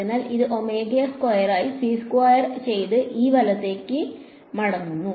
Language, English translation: Malayalam, So, this will become omega squared by c squared back to E right